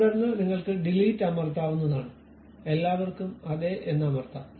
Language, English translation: Malayalam, Then you can press Delete, Yes to All